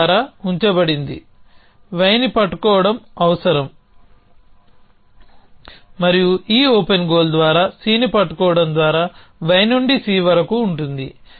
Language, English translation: Telugu, This put on by will need holding y and this open goal can be might by this goal holding C by seen y could to C essentially